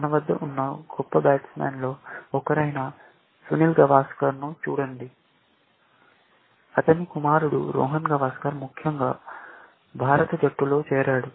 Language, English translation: Telugu, Look at Sunil Gavaskar, one of the greatest batsman we had, his son Rohan Gavaskar, could barely, make it to the Indian team, essentially